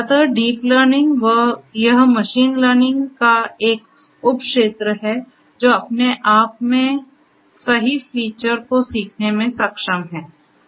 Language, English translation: Hindi, So, deep learning, it is a subfield of machine learning which is capable of learning the right features on its own know